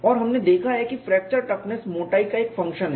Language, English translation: Hindi, And we have seen fracture toughness is a function of thickness